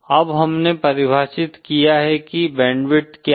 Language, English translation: Hindi, Now we have defined what is the bandwidth